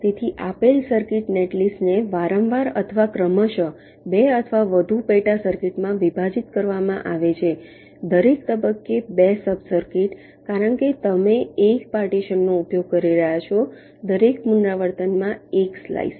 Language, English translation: Gujarati, so, given circuit, netlist is repeatedly or progressively partitioned into two or more sub circuits, two sub circuits at every stage, because you are using one partition, one slice in a wave artilation